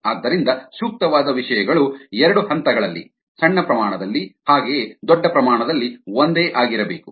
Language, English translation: Kannada, so appropriate things need to be the same at two levels, at the small scale as well as at the large scale